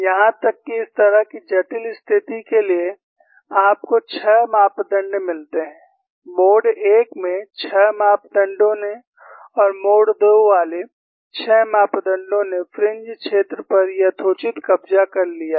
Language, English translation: Hindi, Even for such a complex situation, you find a 6 parameter, involving 6 mode 1 parameters, and 6 mode 2 parameters, has reasonably captured the fringe field